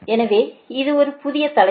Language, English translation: Tamil, so this is a new topic started